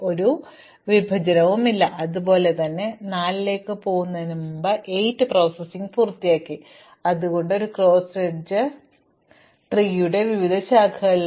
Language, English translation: Malayalam, So, there is no intersection between the interval 7, 8 and 4, 5 likewise we have finished processing 8 before we went to 4 that is why it is a cross edge, they are on different branches of the tree